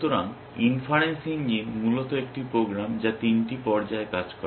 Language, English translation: Bengali, So, the inference engine is basically a program which works in three phases